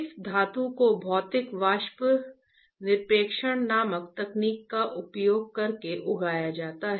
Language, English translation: Hindi, This metal is grown using a technique called physical vapor deposition